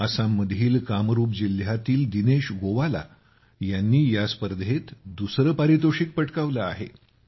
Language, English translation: Marathi, Dinesh Gowala, a resident of Kamrup district in Assam, has won the second prize in this competition